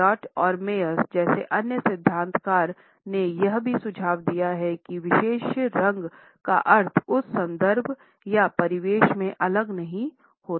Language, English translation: Hindi, Other theorists like Elliot and Maier have also suggested that the meaning of a particular color cannot be dissociated from the context or the environment in which it is encountered